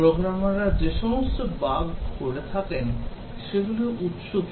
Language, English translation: Bengali, And these bugs that the programmers commit, what are the sources of the bug